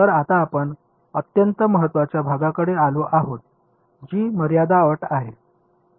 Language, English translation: Marathi, So, now, we come to the very crucial part which is boundary condition right